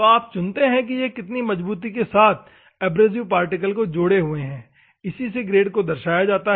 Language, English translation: Hindi, So, you choose now, how firmly the abrasive particle is held is specified by the grade